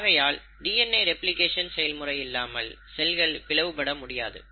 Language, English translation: Tamil, So it is not possible for a cell to divide without the process of DNA replication